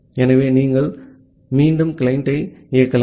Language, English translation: Tamil, So, you can again run the client